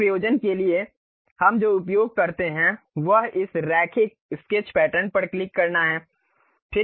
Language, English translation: Hindi, For that purpose what we use is click this Linear Sketch Pattern